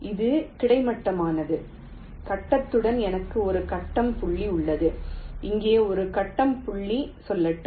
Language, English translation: Tamil, let say, along the grid i have one grid point, let say here and one grid point here